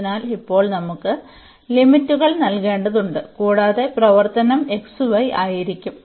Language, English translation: Malayalam, So, now, we need to just put the limits and the function will be xy